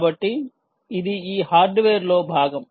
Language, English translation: Telugu, so this is part of this hardware